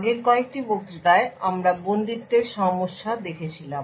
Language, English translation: Bengali, So, in the previous couple of lectures we had looked at a problem of confinement